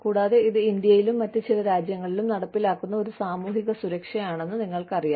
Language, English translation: Malayalam, And, you know, it is a form of social security, that is implemented here in India, and in some other countries